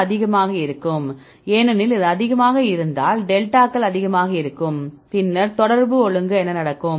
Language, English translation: Tamil, This will be high because delta s will be high if this is high, then what will happen the contact order